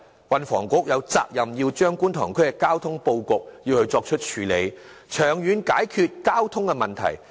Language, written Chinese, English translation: Cantonese, 運輸及房屋局有責任調整觀塘區的交通布局，長遠解決交通問題。, It is incumbent upon the Secretary for Transport and Housing to adjust the transport arrangement in Kwun Tong District as a long - term solution to its traffic problems